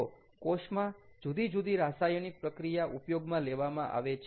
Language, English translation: Gujarati, so various cell chemistries are used